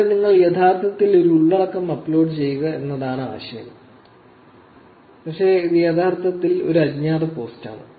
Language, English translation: Malayalam, Here, the idea is that you actually upload a content, but it is actually anonymous post